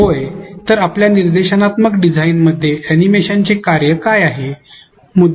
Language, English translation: Marathi, If yes what is the function of animation in your instructional design